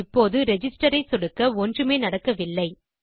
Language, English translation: Tamil, Here if I click Register nothing happens